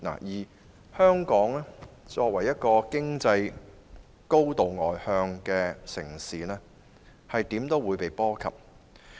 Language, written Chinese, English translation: Cantonese, 香港作為經濟高度外向的城市，無論如何也會被波及。, As an externally - oriented economy Hong Kong will be affected anyway